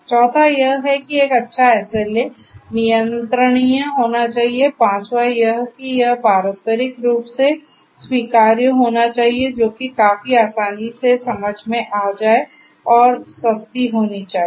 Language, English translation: Hindi, Fourth is that a good SLA should be controllable, fourth fifth is that it should be mutually acceptable which is also quite will you know easily understood and should be affordable